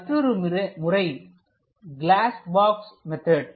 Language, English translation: Tamil, The other method is called glass box method